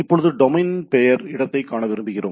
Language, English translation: Tamil, Now, if we like to see the domain name space right